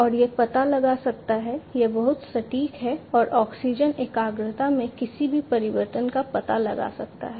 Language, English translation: Hindi, And it can detect different you know it is highly accurate and can detect any changes in the oxygen concentration